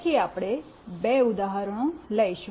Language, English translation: Gujarati, Then we will be taking two examples